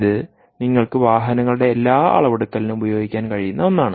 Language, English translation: Malayalam, this is something that you can typically use for all measurement of in in automobiles